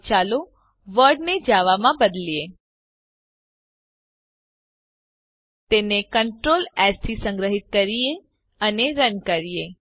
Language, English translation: Gujarati, Now let us change the World to Java Save it with Ctrl + S and Run it